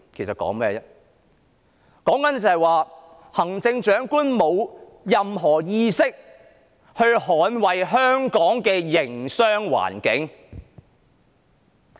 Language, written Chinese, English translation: Cantonese, 是指行政長官沒有任何意識捍衞香港的營商環境。, It means that the Chief Executives have not the least intention to defend the business environment in Hong Kong